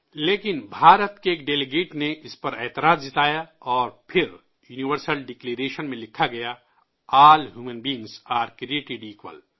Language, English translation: Urdu, But a Delegate from India objected to this and then it was written in the Universal Declaration "All Human Beings are Created Equal"